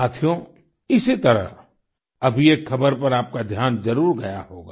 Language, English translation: Hindi, similarly, one piece of news might have caught your attention